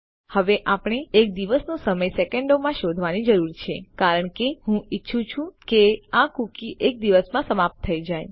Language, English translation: Gujarati, Now we need to find out the time in seconds of a day because I want this cookie to expire in a day